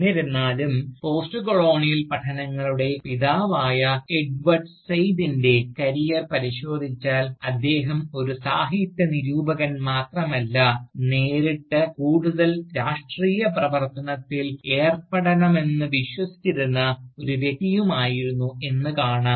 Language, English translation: Malayalam, However, if you look at the career of Edward Said, the Founding Father of Postcolonial Studies, we see that, he was not only a Literary Critic, but also a person, who believed in engaging more directly, in Political action